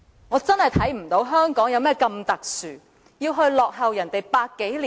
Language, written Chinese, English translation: Cantonese, 我真的看不到香港有何特殊之處，要落後別人百多年。, I do not see any special condition in Hong Kong that justifies this lag for over a hundred years